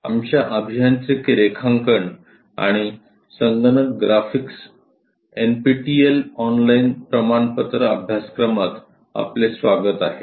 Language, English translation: Marathi, Welcome to our Engineering Drawing and Computer Graphics, NPTEL Online Certification Courses